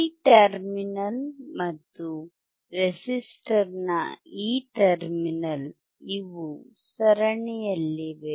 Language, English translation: Kannada, This terminal and this terminal of the resistor, these are in series